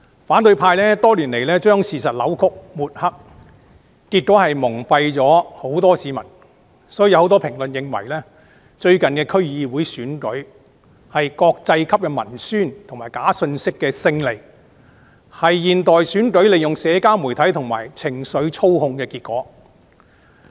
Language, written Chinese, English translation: Cantonese, 反對派多年來將事實扭曲和抹黑，結果蒙蔽了很多市民，很多評論認為最近區議會選舉的結果，是國際級文宣及假信息的勝利，是現代選舉利用社交媒體及情緒操控的結果。, Over the years the opposition camp has been distorting and slurring the truth pulling wool over the eyes of many members of the public . Many commentaries consider that the result of the District Council DC Election held recently is a victory of propaganda of international calibre and fake news which is the consequence of manipulation by social media and emotions in contemporary elections